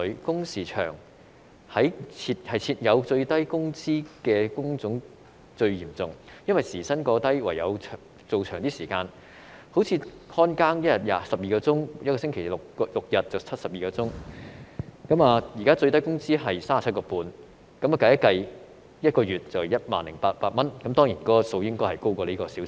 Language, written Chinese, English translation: Cantonese, 工時長在低工資的工種最嚴重，因為時薪過低，唯有工作較長時間，例如保安員每天工作12小時，一星期工作6天便是72小時，現在最低工資時薪是 37.5 元，運算後每月賺取 10,800 元，當然他們的工資應稍為高於這個數字。, Long working hours are most common in sectors with low wages . It is because the hourly rates of these sectors are too low their workers have no choice but to work for longer hours . For example a security guard works for 12 hours a day and six days a week so his weekly hours are 72 hours